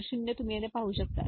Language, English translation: Marathi, So, 0 you can see over here this is 0